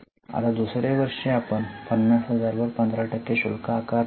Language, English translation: Marathi, Now in the second year, we will not charge 15% on 50,000